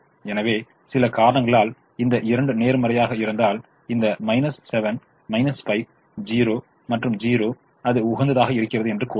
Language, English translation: Tamil, so if, if, for some reason, these two were positive, then this minus seven minus five, zero, zero will tell me that it is optimum